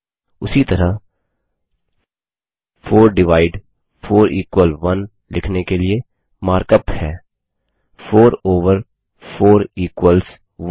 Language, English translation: Hindi, Similarly to write 4 divided by 4 equals 1, the mark up is#160: 4 over 4 equals 1